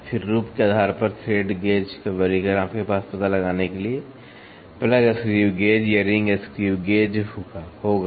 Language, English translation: Hindi, Then the classification of thread gauge based on form you will have a plug screw gauge or a ring screw gauge to find out